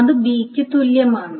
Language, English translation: Malayalam, So that is the same